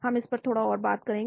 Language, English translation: Hindi, we will talk a little bit more